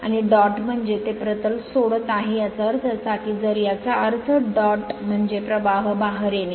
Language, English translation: Marathi, And dot means it is leaving the plane; that means, if it dot means current coming out